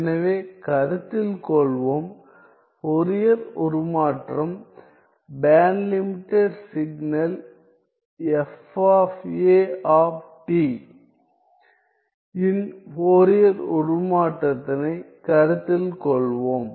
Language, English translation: Tamil, So, let us consider, let us consider the Fourier transform, the Fourier transform of the band limited signal, fa of t